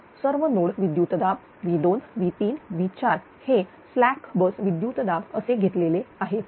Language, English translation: Marathi, So, all the all the all the node voltages V 2 , V 3 , V 4 are taken as the you know slag was voltage